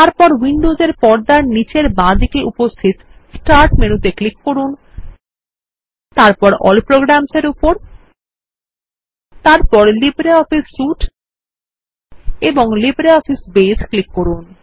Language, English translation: Bengali, Then, click on the Windows Start menu at the bottom left of the screen, then click on All Programs, then LibreOffice Suite,and LibreOffice Base